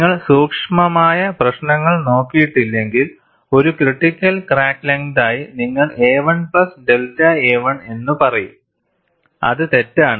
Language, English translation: Malayalam, The question is, would you report a 1 as a critical crack length or a 1 plus delta a 1 as a critical crack length